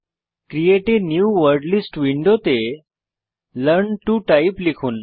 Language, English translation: Bengali, In the Create a New Wordlist window, let us type Learn to Type